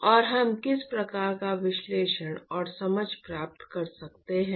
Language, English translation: Hindi, And, what kind of analysis and understanding we can get